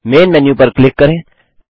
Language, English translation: Hindi, Click Main Menu